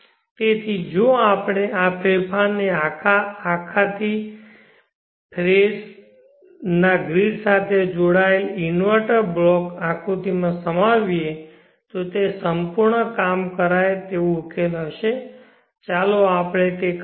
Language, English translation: Gujarati, So if we incorporate this modification in to our entire 3 phase grid connected inverter block diagram then it will be a complete workable solution, let us do that